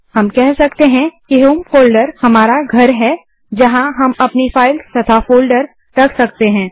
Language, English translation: Hindi, We can say that the home folder is our house where we can store our files and folders